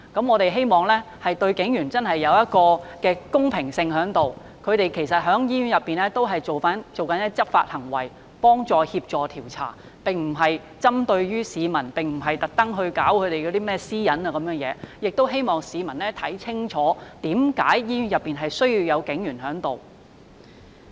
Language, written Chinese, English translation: Cantonese, 我們希望大家對警員公平，其實警員在醫院內進行的是執法行為，幫助協助調查，並不是針對市民或侵犯私隱，我亦希望市民看清楚為何醫院內需要有警員駐守。, We hope everyone will be fair to police officers who are actually enforcing the law and conducting investigations in hospitals . They are not there to attack the public or infringe their privacy . I also hope the public will clearly understand the need to have police officers stationed in hospitals